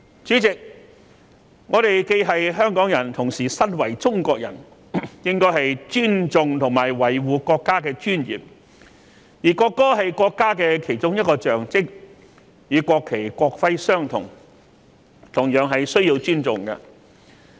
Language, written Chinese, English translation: Cantonese, 主席，我們既是香港人亦同時身為中國人，應該尊重和維護國家的尊嚴，而國歌是國家的其中一種象徵，與國旗、國徽相同，同樣需要尊重。, President we Hong Kong people are Chinese people too; we should respect and uphold the dignity of our country . The national anthem is one of the symbols of our country and just like the national flag and the national emblem it should be respected